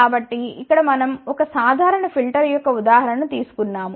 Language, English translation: Telugu, So, here we have taken an example of a simple filter